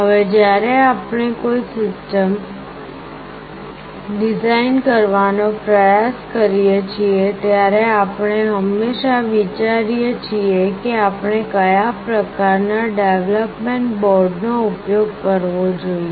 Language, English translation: Gujarati, Now when we try to design a system, we always think of what kind of development board we should use